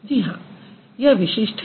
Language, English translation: Hindi, Is it distinctive